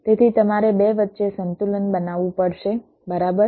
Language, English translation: Gujarati, so you have to make a balance between the two